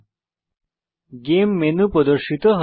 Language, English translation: Bengali, The Game menu appears